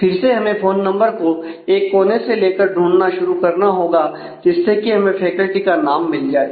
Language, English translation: Hindi, Again, we will have to search on the phone number from one end to the other and find the name of the faculty